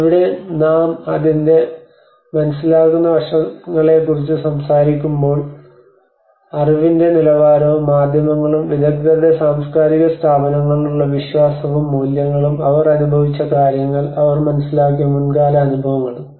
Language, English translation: Malayalam, Whereas here when we talk about the perception aspects of it the level of knowledge the beliefs and values the media and the trust in the expert’s cultural institutions, and the past experience what they have understood what they have experienced